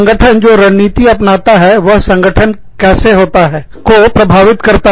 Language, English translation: Hindi, The strategy, the organization adopts, is affects, how the organization takes place